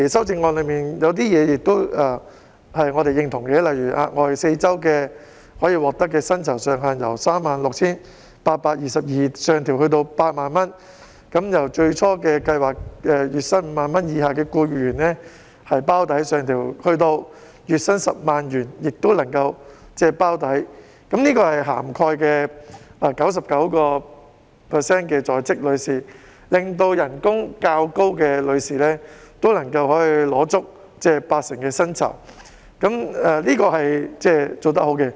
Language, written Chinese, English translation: Cantonese, 此外，我們亦認同修正案提出額外4周產假的薪酬上限由 36,822 元上調至 80,000 元，由最初計劃月薪 50,000 元以下僱員包底上調至月薪 100,000 元，從而涵蓋了 99% 的在職婦女，令薪酬較高的婦女也能領取八成薪酬，這是好事。, Moreover we also support the upward adjustment of the cap for the 4 - week additional maternity leave pay from 36,822 to 80,000 which was originally based on the salary of an employee earning 50,000 or less a month and now has been increased to a salary of 100,000 . In so doing 99 % of working women will be covered meaning that those relatively highly paid women can also get 80 % of their salaries during maternity leave . It is commendable